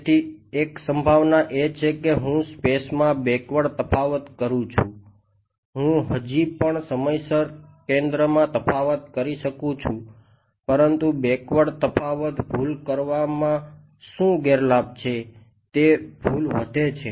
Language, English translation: Gujarati, So, one possibility is I do a backward difference in space I can still do centre difference in time right, but what is the disadvantage of doing a backward difference error is error increases